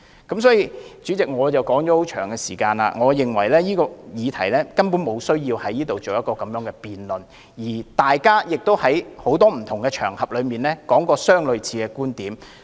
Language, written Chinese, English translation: Cantonese, 代理主席，說了這麼久，我認為這項議題根本沒有需要在立法會辯論，因為大家已在不同場合提出類似的觀點。, Deputy President after speaking for so long I consider it downright unnecessary to conduct a debate on this subject in the Legislative Council as Members have already expressed similar viewpoints on different occasions